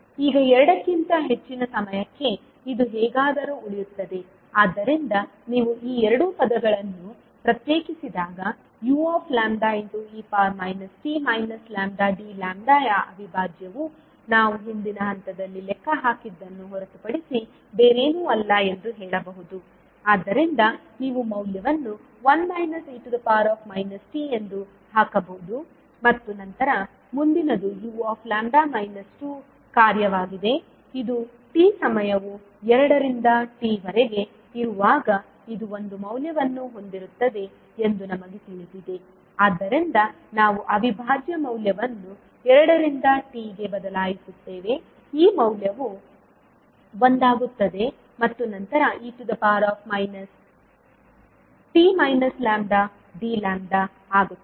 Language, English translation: Kannada, Now for time t greater than two this will anyway remain there so when you separate these two terms you can simply say that 0 two t u lambda e to the power minus t lambda d lambda is nothing but what we calculated in the previous step, so you can simply put the value as one minus e to power minus t and then next is u lambda minus two function now we know that this will this will have value as one when the time t is ranging between two to t so we will change the integral value from two to t this value will become one and then e to the power minus t minus lambda d lambda